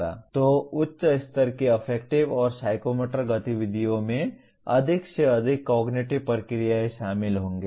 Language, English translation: Hindi, So higher level, affective and psychomotor activities will involve more and more cognitive processes